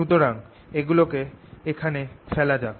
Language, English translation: Bengali, so let's put them here